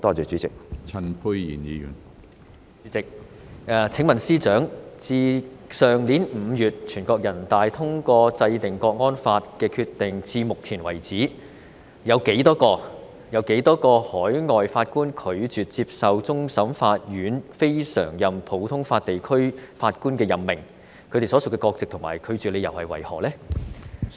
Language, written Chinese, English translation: Cantonese, 主席，請問司長，自去年5月全國人大通過制定《香港國安法》的決定至目前為止，有多少名海外法官拒絕接受終審法院非常任普通法地區法官的任命，以及他們所屬的國籍及拒絕理由為何？, President may I ask the Chief Secretary how many overseas judges have refused to accept CFAs appointment of CLNPJ since the National Peoples Congress passed its decision to enact the National Security Law in May last year and what their nationalities and grounds of refusal are?